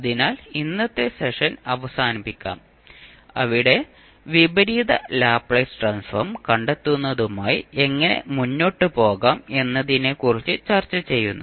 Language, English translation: Malayalam, So, with this we can close our today's session, where we discuss about how to proceed with finding out the inverse Laplace transform